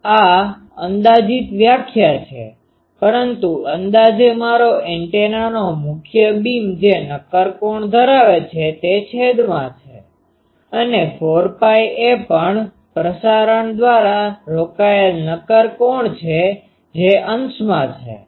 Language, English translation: Gujarati, This is an approximate definition, but approximately my antennas main beam the solid angle it occupies, if I that is in the denominator and 4 pi is the solid angle occupied by the also propagated